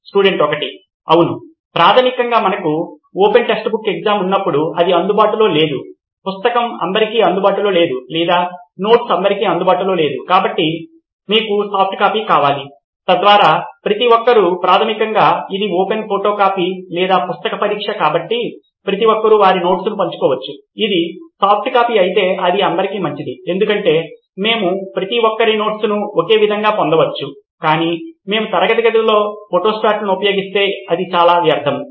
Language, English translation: Telugu, Yeah basically when we have an open textbook exam, it is not available, the book is not available to everyone or the notes is not available to everyone, so you need a soft copy so that everybody can basically it’s an open photocopy or book exam so everybody can share their notes, if it’s a soft copy it is way better because we can access everybody’s notes in a single…but if we takes Photostats to in the classroom it is very